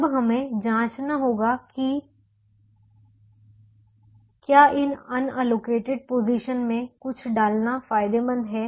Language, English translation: Hindi, we will now see whether it is profitable to put something in a unallocated position now